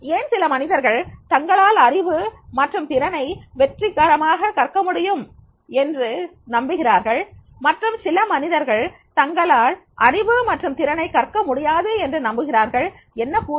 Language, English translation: Tamil, Why some people believe that is yes they can successfully learn knowledge and skill while some people believe that no they cannot learn knowledge and skills